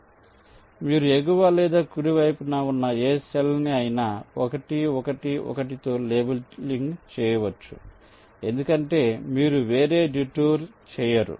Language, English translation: Telugu, so any cell to the top or right, you can go on labeling with one one one, because you are not making any other detour